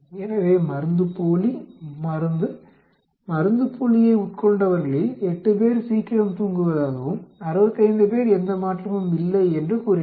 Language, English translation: Tamil, So placebo, drug, whoever took placebo, 8 of them said they slept early and 65 of them said there is no change